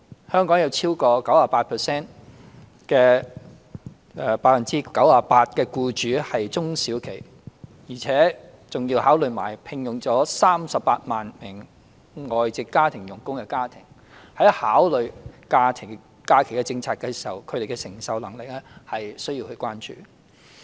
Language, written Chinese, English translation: Cantonese, 香港有超過 98% 的企業為中小型企業，還有聘用了超過38萬名外籍家庭傭工的家庭，在考慮假期政策時，他們的承受能力是需要關注的。, In considering holiday policy attention has to be given to the affordability of small and medium enterprises which comprise over 98 % of all enterprises in Hong Kong; and families which have employed 380 000 foreign domestic helpers